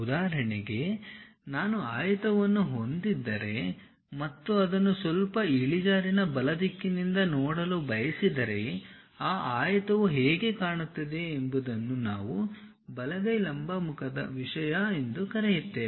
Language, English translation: Kannada, For example, if I have a rectangle and I would like to view it from slightly inclined right direction the way how that rectangle really looks like that is what we call right hand vertical face thing